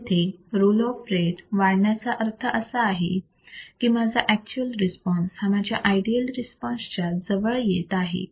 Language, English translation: Marathi, So, increasing the roll off rate means, that my actual response is getting closer to my ideal response